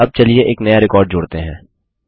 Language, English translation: Hindi, Now let us add a new record